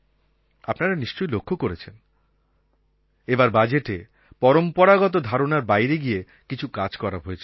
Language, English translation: Bengali, You must have noticed in the Budget that we have decided to do something unconventional